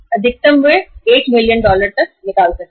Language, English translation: Hindi, Maximum they can withdraw is 1 million dollars